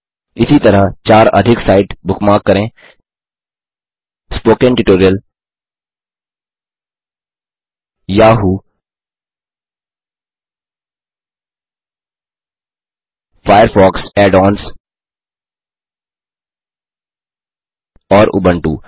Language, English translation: Hindi, * In the same manner, lets bookmark four more sites Spoken Tutorial, Yahoo,Firefox Add ons andUbuntu